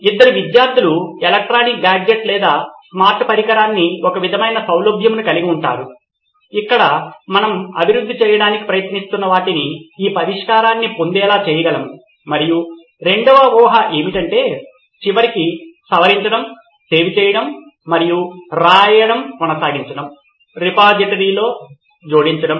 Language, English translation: Telugu, Two will be students have some sort of access to an electronic gadget or a smart device where they can access this solution what we are trying to develop and eventually edit, save and keep writing, adding to the repository that would be assumption two